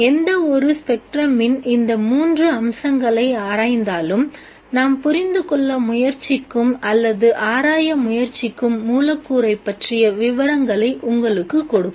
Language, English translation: Tamil, Exploring these three aspects of any spectrum gives you the details about the molecule that we are trying to understand or trying to explore